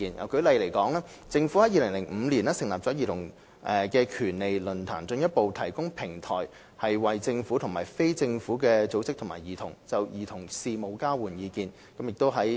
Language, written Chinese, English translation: Cantonese, 舉例而言，政府在2005年成立了兒童權利論壇，進一步提供平台，為政府與非政府組織及兒童就兒童事務交換意見。, For instance the Government set up the Childrens Rights Forum the Forum in 2005 as a further platform for exchanges of views on childrens affairs between the Government NGOs and children